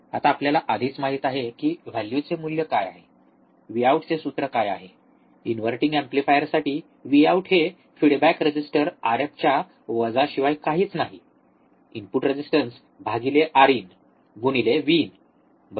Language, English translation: Marathi, Now we already know what is the value of, what is the formula for V out, for inverting amplifier V out is nothing but minus of feedback resistor R f, divide by input resistance R in into input voltage V in, right